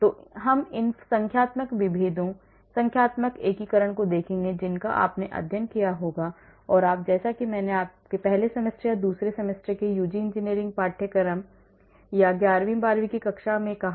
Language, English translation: Hindi, So, we will look at these numerical differentiation, numerical integration you must have studied, and you are as I said the first semester or second semester UG engineering courses or even in eleventh and twelfth standards